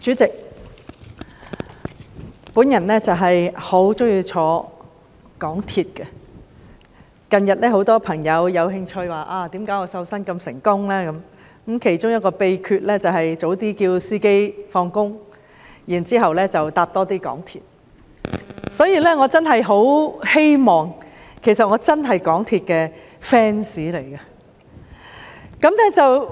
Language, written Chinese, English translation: Cantonese, 主席，我很喜歡乘搭港鐵，近日很多朋友對我瘦身成功一事很感興趣，而我其中一個秘訣，就是請司機提早下班，讓我有機會多乘搭港鐵，我真是港鐵的 fans。, President I really enjoy taking MTR very much . Recently many friends are very interested in my success in losing weight . One of my secrets of success is to let the driver get off work earlier so that I would have the opportunity to take MTR more frequently